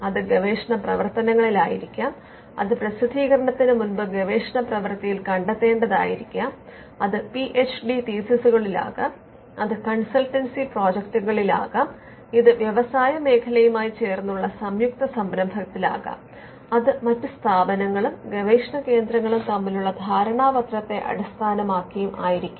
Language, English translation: Malayalam, Now, the output can be in different places it could be in research work which has to be found before publication it could be in PhD theses, it could be in consultancy projects, it could be in joint venture with industry, it could be in arrangement based on an MOU between other institutions and research centres